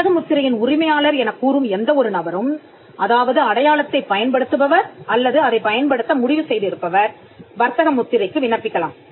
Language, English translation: Tamil, Any person claiming to be the proprietor of a trademark, who uses the mark or propose to use it can apply for a trademark